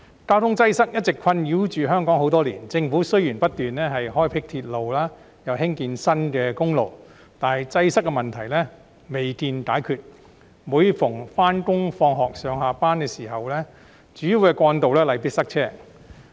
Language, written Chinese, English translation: Cantonese, 交通擠塞一直困擾香港多年，政府雖然不斷開闢鐵路，興建新的公路，但擠塞問題未見解決，每逢上學下課、上下班的繁忙時間，主要幹道例必塞車。, Traffic congestion has been plaguing Hong Kong for years . Despite the Governments continuous efforts to construct railways and build new roads the problem of congestion remains to be solved